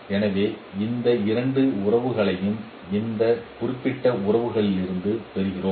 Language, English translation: Tamil, So we get these two equations from this particular relationships